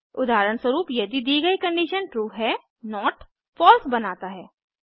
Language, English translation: Hindi, If the given condition is true, not makes it false